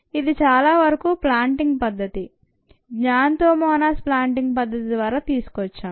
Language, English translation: Telugu, this was most likely obtained by the plating method, xanthomonas plating method